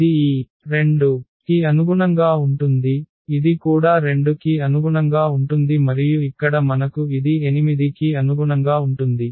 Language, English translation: Telugu, So, this is corresponding to this 2 this is also corresponding to 2 and here we have this corresponding to this 8